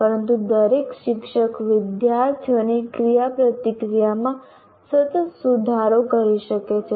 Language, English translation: Gujarati, But every teacher can make do with continuous improvement in student interaction